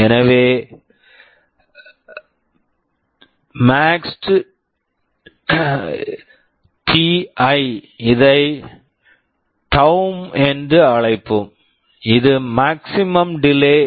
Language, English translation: Tamil, So, maxt{ti}, let us call it taum, is the maximum delay